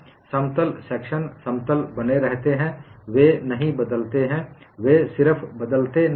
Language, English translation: Hindi, They get rotated; the plane sections remain plane; they do not change; they just do not change